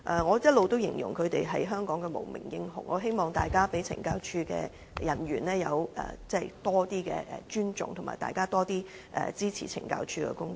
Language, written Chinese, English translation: Cantonese, 我一直形容他們為香港的無名英雄，希望大家對懲教人員有較多尊重，多點支持懲教署的工作。, All along I have described them as the unsung hero in Hong Kong . I hope Members can show greater respect for CSD staff and give more support to its work